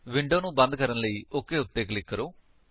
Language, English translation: Punjabi, Click on OK to close the window